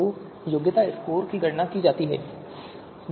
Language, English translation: Hindi, So qualification scores are supposed to be computed